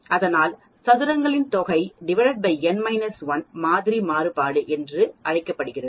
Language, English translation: Tamil, So sum of squares divided n minus 1 is called the sample variance